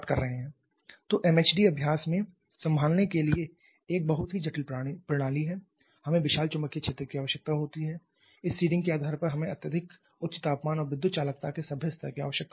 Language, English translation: Hindi, so MHD is a very complicated system to handle in practice we require huge magnetic field we require extremely high temperature and also decent level of electrical conductivity by virtue of this seeding